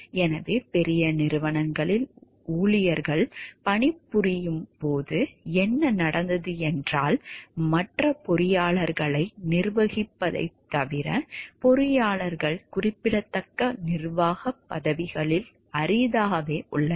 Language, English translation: Tamil, So, what happened when the employees are employed in large corporation is engineers are rarely in significant managerial positions, except with regard to managing other engineers